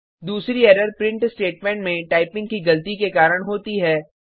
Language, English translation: Hindi, The next error happens due to typing mistakes in the print statement